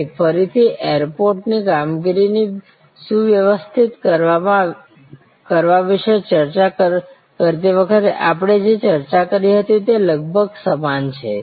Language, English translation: Gujarati, Here again, it is almost similar to what we discussed when we were discussing about streamlining airport operation